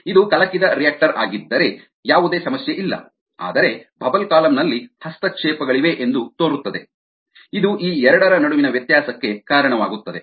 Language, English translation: Kannada, if it is stirred reactor there is absolutely no problem, whereas in the bubble column the seems to be ah interference which lead to a difference between these two